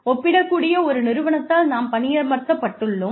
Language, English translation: Tamil, We have been employed by a comparable organization